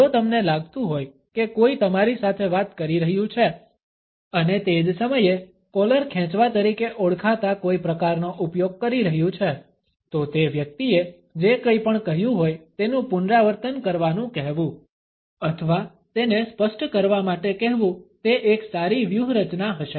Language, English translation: Gujarati, If you feel that somebody is talking to you and at the same time using any variation of what is known as the collar pull, it would be a good strategy to ask the person to repeat, whatever he or she has said or to clarify the point